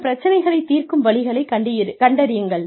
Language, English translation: Tamil, And, find ways, to solve these problems